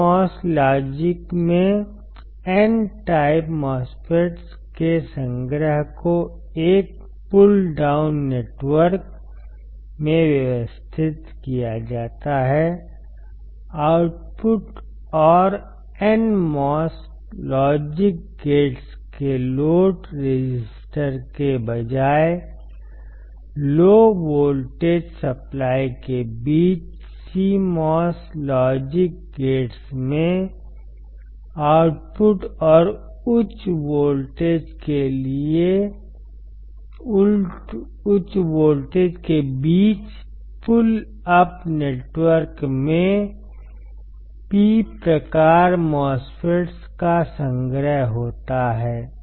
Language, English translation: Hindi, Here in CMOS logic gates a collection of N type MOSFETs is arranged in a pull down network, between output and the low voltage supply right instead of load resistor of NMOS logic gates, CMOS logic gates have a collection of P type MOSFETs in a pull up network between output and higher voltage